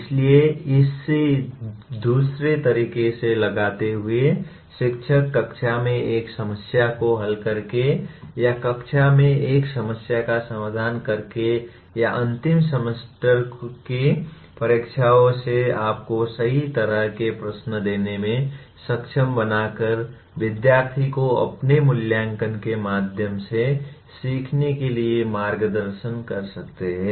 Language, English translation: Hindi, So putting it in another way, teachers can guide students to learn through their assessment by working out a problem in the class or making them work out a problem in the class or giving the right kind of questions in the end semester exams you are able to guide the students to learn well